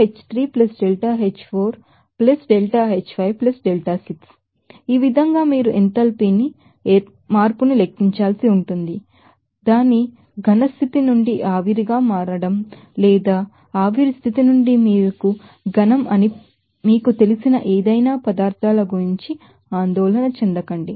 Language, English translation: Telugu, So, in this way that you have to calculate the enthalpy change, worrying about any materials you know becoming vapor from its solid state or becoming you know solid from its vapor state